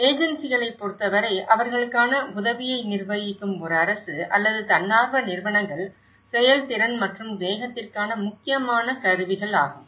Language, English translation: Tamil, For the agencies, whether is a government or voluntary organisations who administrate assistance for them, the important tools for efficiency and the speed